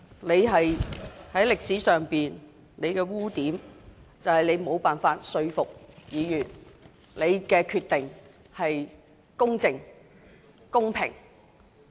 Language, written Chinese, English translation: Cantonese, 你在歷史上的污點就是你無法說服議員，認為你所作的決定是公正和公平的。, The blemish you have left in the history is your failure to convince Members that your decisions are impartial and fair